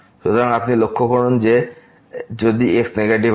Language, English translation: Bengali, So, you note that if is negative